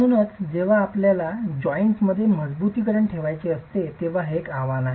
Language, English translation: Marathi, So, that's a challenge when you want to place reinforcement in the joints